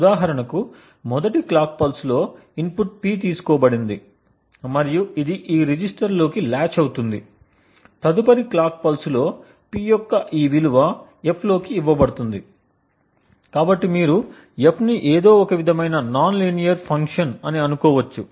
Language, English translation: Telugu, For example, in the first clock pulse the input P is taken and it gets latched into this register, in the next clock pulse this value of P is fed into F, F you could think of as any kind of nonlinear function, so what F does is that it operates on the value of P and also the secret key K